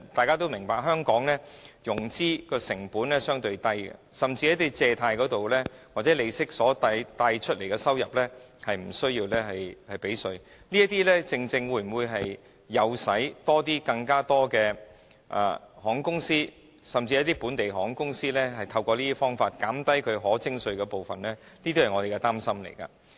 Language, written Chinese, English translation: Cantonese, 眾所周知，香港的融資成本相對較低，甚至從借貸及利息得到的收入亦無須繳稅，這會否誘使更多航空公司，甚至本地航空公司透過此一途徑減少其可徵稅部分的收入呢？, As we all know financing costs in Hong Kong are relatively lower and gains arising from lending and interest income are not chargeable to tax . Will this provide an incentive for more airline companies local airline companies in particular to reduce the amount of their chargeable trading receipts through this channel?